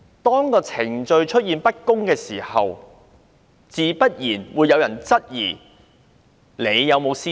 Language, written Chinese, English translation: Cantonese, 當程序不公，自然會有人質疑她是否有私心。, When there is procedural injustice people will naturally suspect whether she has a secret agenda behind